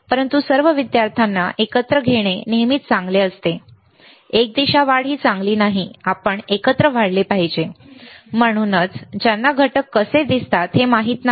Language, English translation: Marathi, But it is always good to take all the students together, unidirectional growth is not good we should grow together, and that is why people who do not know how components looks like, right